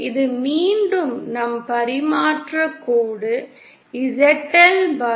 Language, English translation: Tamil, So this is our transmission line once again, ZL the load